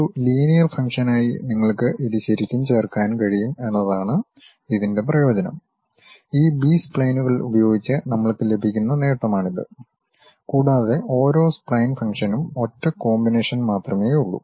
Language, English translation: Malayalam, The advantage is you can really add it up as a linear function, that is the advantage what we will get with this B splines, and there is only one unique combination for each spline function